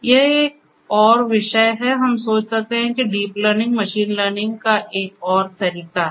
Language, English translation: Hindi, It is another discipline of, we can think of that deep learning is another way of machine learning we can think that way